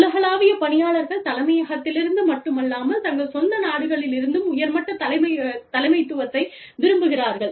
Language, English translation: Tamil, Global workforces, want top level leadership, from within their own countries, not just from headquarters